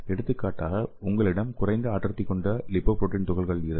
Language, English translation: Tamil, For example if you have the low density lipoprotein particles and it will be internalized through the LDL receptor